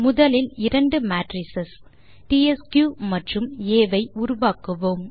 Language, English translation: Tamil, We will first generate the two matrices tsq and A